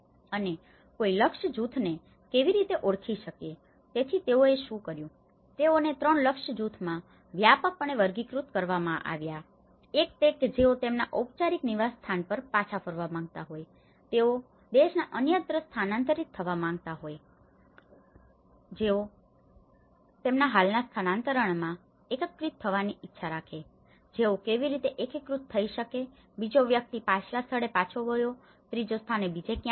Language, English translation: Gujarati, And how do one can identify the target groups, so what they did was, they have broadly classified into 3 target groups, one is those who wish to return to their formal place of residence, those who wish to relocate elsewhere in the country, those who wish to integrate in their current place of displacement, so how they can integrate, the second one is go back to the former place, the third one is go to somewhere else